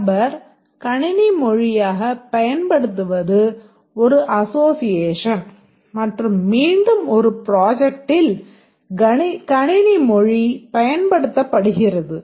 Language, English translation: Tamil, Person uses a computer language is an association and again language is used in a project